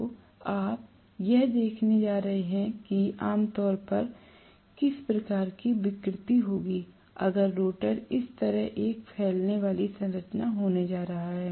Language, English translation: Hindi, So you are going to see that generally you will have some kind of deformation, if I am going to have the rotor having a protruding structure like this